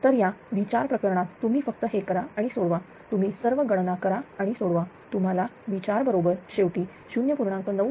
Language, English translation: Marathi, So, in this case V 4 case you just do it and simplify you do all calculations and simplify, you will get V 4 is equal to ultimately 0